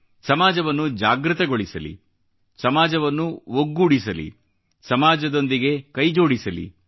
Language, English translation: Kannada, We must wake up the society, unite the society and join the society in this endeavour